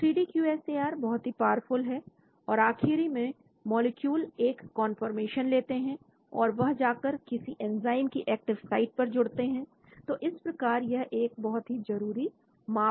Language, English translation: Hindi, So 3D QSAR is very powerful because ultimately molecules take a conformation and they go and bind to the active site of the enzyme so that is the very, very important parameter